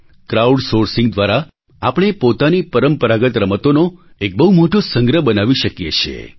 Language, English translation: Gujarati, Through crowd sourcing we can create a very large archive of our traditional games